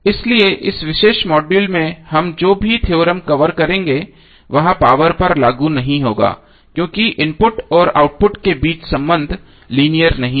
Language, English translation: Hindi, So that is why whatever the theorems we will cover in this particular module will not be applicable to power because the relationship between input and output is not linear